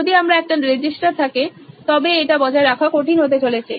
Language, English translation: Bengali, If I have a single register it is going to be tough